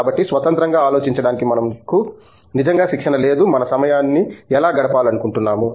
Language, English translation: Telugu, So, we are not really trained to think independently on, how we want to spend our time